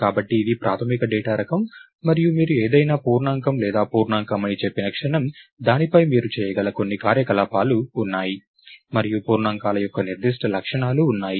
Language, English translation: Telugu, So, it is a basic data type and the moment you say something is int or an integer, you know that, there are certain operations that you can do on it, and there are certain properties of integers